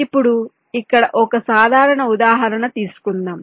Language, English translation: Telugu, now lets take a simple example here